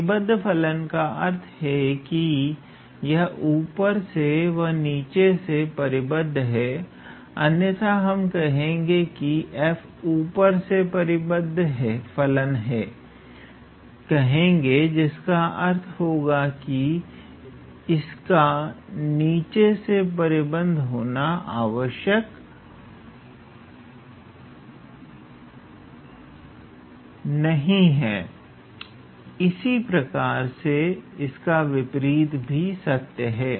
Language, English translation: Hindi, The when we say bounded function, it means that it is bounded from above, it is bounded from below, otherwise we will say that f is a bounded function from above that means, it may not be bounded from below and vice versa basically